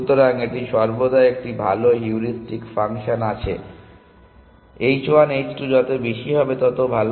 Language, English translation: Bengali, So, it always space to have a better heuristic function; the higher the h 1 h 2, the better